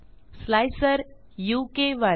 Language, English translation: Marathi, slicer u k 1